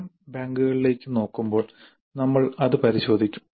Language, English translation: Malayalam, We'll examine that when we look into the item banks